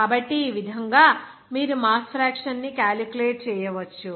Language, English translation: Telugu, So, in this way, you can calculate the mass fraction